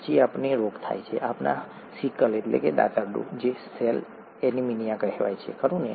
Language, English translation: Gujarati, Then we get a disease, we get what is called sickle cell anaemia, right